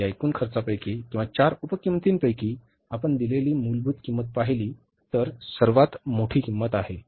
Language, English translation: Marathi, Out of this total cost or the four sub costs, if you look at the value given, prime cost is the biggest one